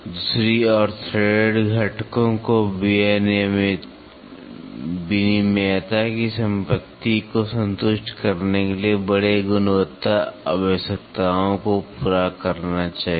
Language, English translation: Hindi, On the other hand, threaded components should meet stringent quality requirements to satisfy property of interchangeability